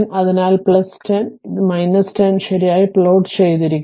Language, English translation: Malayalam, So, this is plus 10 this is minus 10 it is plotted right